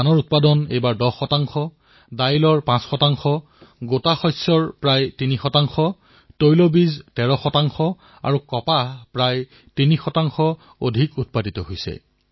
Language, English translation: Assamese, The sowing of paddy has increased by approximately 10 percent, pulses close to 5 percent, coarse cereals almost 3 percent, oilseeds around 13 percent and cotton nearly 3 percent